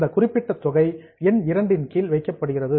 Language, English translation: Tamil, That particular amount is kept under this item number two